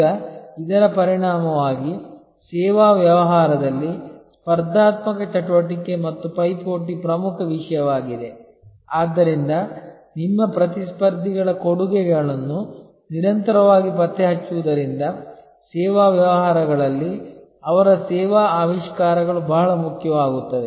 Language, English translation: Kannada, Now, as a result, because the competitive activity and rivalry is a major issue in service business, so constantly tracking your competitors their offerings, their service innovations become very important in services businesses